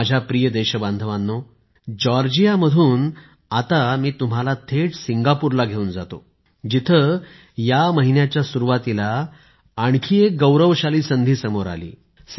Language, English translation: Marathi, My dear countrymen, let me now take you straight from Georgia to Singapore, where another glorious opportunity arose earlier this month